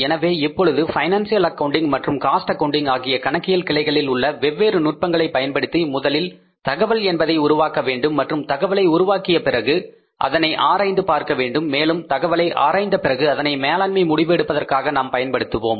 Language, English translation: Tamil, So, now by using the different techniques of the financial accounting and the cost accounting, we will first generate some information and after generating that information, we will analyze it and we will use that information for the decision making